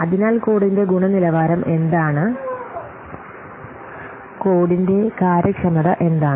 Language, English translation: Malayalam, So what will the quality of the code